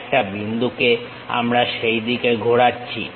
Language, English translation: Bengali, A point we are rotating in that direction